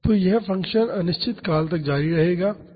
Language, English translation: Hindi, So, this function continues indefinitely